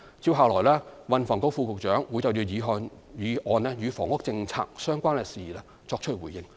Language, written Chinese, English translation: Cantonese, 接下來，運輸及房屋局副局長會就議案中與房屋政策相關的事宜作出回應。, The Under Secretary for Transport and Housing will now respond to issues relating to the housing policy stated in the motion